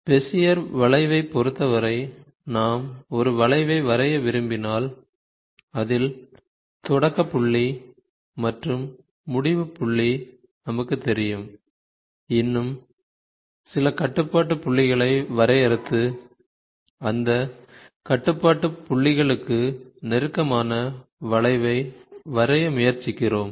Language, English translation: Tamil, As far as Bezier curve is concerned, if we wanted to draw a curve where in which we know the starting point, ending point we define some more control points and try to draw the curve which is close to those control points